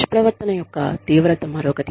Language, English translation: Telugu, Severity of misconduct, is another one